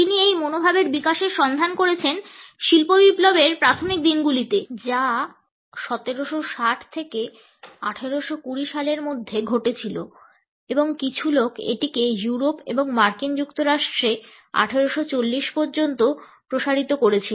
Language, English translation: Bengali, He has traced the development of this attitude to the early days of industrial revolution which had occurred during 1760 to 1820 and some people a stretch it to 1840 also in Europe and the USA